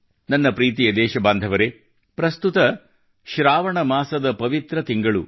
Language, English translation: Kannada, My dear countrymen, at present the holy month of 'Saawan' is going on